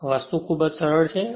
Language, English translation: Gujarati, This is very simple thing